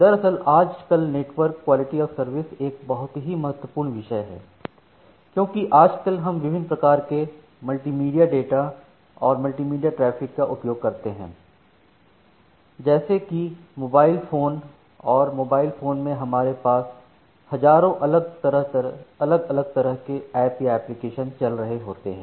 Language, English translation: Hindi, Indeed in today’s network quality of service is an very important topic because, nowadays we are going to use different kind of multimedia data and multimedia traffic like we use mobile phones, and in mobile phones we have thousands of different apps or applications which are running there